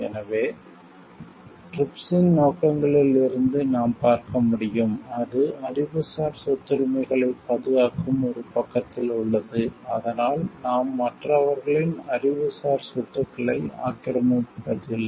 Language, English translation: Tamil, So, as you can see from the objectives of the TRIPS, it is in one side protecting the Intellectual Property Rights; so that we are not like encroaching on others intellectual properties